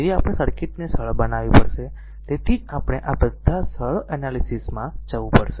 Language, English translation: Gujarati, So, we have to simplify the circuit the that is why we have to go all these ah simple analysis